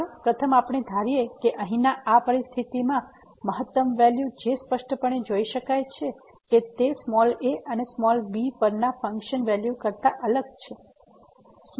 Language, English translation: Gujarati, The first one let us assume that the maximum value in this situation here which is clearly can be observed that it is different than the function value at and